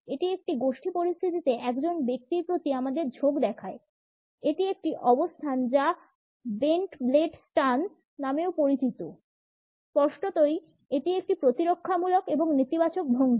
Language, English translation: Bengali, It shows our leanings towards that individual in a group position; this is a stance which is also known as the bent blade stance is; obviously, a defensive a negative posture